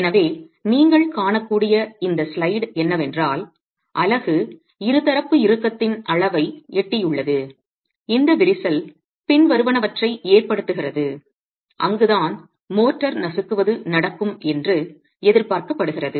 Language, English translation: Tamil, So, this slide that you can see is where the unit has reached a level of biaxial tension that causes cracking, following which is where the crushing of the motor is expected to happen